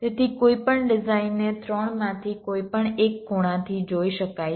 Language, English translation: Gujarati, so any design can be viewed from any one of the three angles